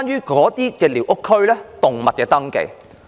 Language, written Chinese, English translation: Cantonese, 第一，是寮屋區內的動物登記。, The first problem is the registration of animals in squatter areas